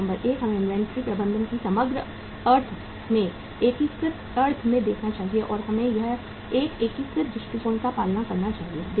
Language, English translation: Hindi, So number 1, we should look at the inventory management in the holistic sense, in the integrated sense, and we should follow a integrated approach